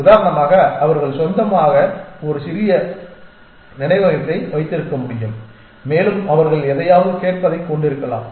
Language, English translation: Tamil, For example, they could have a little bit of a memory of their own and they could have a little bit of listening something